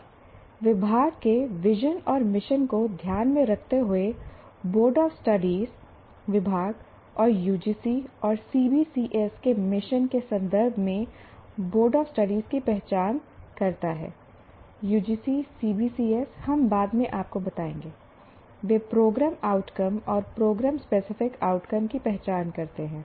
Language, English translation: Hindi, And the Board of Studies, keeping the vision and mission of the department, the Board of Studies identifies in the context of the mission of the department and the UGC and CBCS, EGC CBCS, we will elaborate later, that is choice based credit system